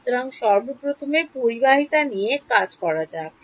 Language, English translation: Bengali, So, deal with conductivity first of all